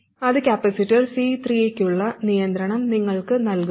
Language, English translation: Malayalam, Now, we still have this capacitor C3 that is left